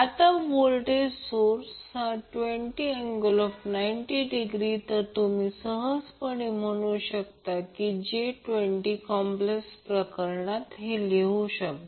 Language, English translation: Marathi, Now the voltage source is 20 angle 90 degree so you can conveniently write it as j 20 in complex form